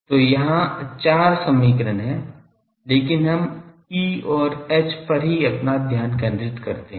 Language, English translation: Hindi, So, there are four equations, but we are interested in E and H